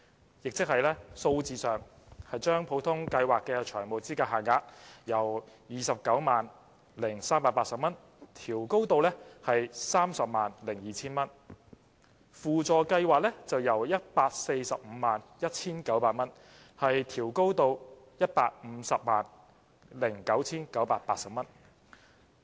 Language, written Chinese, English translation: Cantonese, 換言之，將普通法律援助計劃的財務資格限額由 290,380 元調高至 302,000 元，法律援助輔助計劃則由 1,451,900 元調高至 1,509,980 元。, In other words FEL under the Ordinary Legal Aid Scheme OLAS will be increased from 290,380 to 302,000 and FEL under the Supplementary Legal Aid Scheme SLAS will be increased from 1,451,900 to 1,509,980